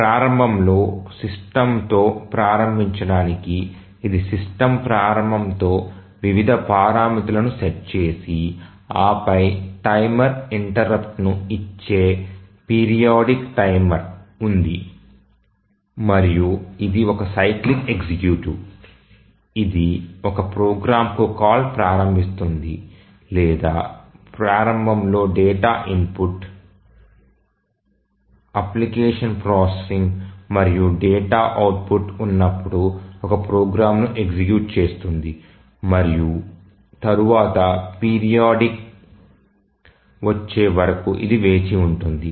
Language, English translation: Telugu, So, here initially to start with the system is started with a system initialization where various parameters are set and then there is a periodic timer which gives timer interrupt and it is a cyclic executive which starts a call to a program or executes a program where initially there is a data input application processing and and then data output, and then it keeps on waiting until the next period comes